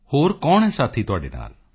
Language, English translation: Punjabi, Who else is there with you